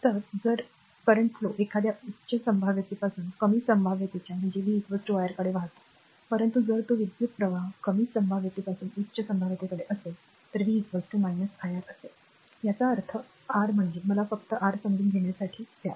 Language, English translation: Marathi, So, if the current flows from a higher potential to lower potential v is equal to iR, but if it is current flows from a lower potential to higher potential, v will be is equal to minus iR; that means, your that means, let me let me just for your understanding